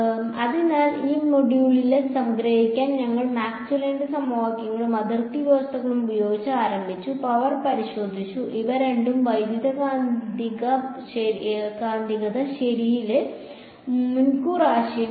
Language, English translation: Malayalam, So, to sort of summarize this module we started with Maxwell’s equations and boundary conditions, looked at the power and these two were sort of advance concepts in electromagnetic ok